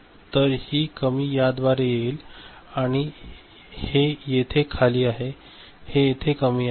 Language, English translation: Marathi, So, this low will come through this and so, this is low over here, this is low over here